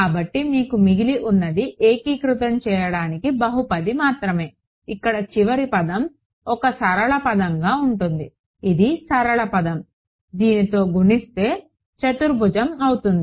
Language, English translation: Telugu, So, all you are left with is a polynomial to integrate, over here for the last term will be a linear term this is a linear term multiplied by this will be quadratic right